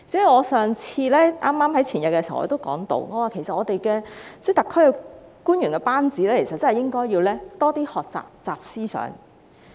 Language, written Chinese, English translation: Cantonese, 我在前天的會議上提到，我們特區的官員班子應該多學習"習思想"。, At the meeting on the day before yesterday I mentioned that our governing team in the Special Administrative Region SAR should learn more about the thinking of President XI Jinping